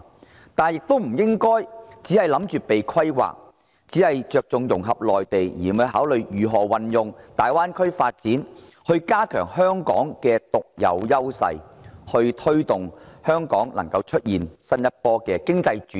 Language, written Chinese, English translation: Cantonese, 然而，香港亦不應只想着被規劃，只着重與內地融合，而不考慮如何利用大灣區發展來加強香港的獨有優勢，推動香港出現新一波經濟轉型。, That said neither should Hong Kong be thinking of nothing but being planned and focusing solely on integration with the Mainland giving no consideration to how best the Greater Bay Area development can be leveraged to consolidate Hong Kongs unique advantages and drive the next wave of economic transformation